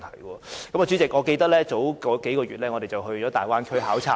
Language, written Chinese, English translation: Cantonese, 代理主席，我記得在數個月前，我們到大灣區考察。, Deputy President I recall our study visit to the Guangdong - Hong Kong - Macao Bay Area a couple of months ago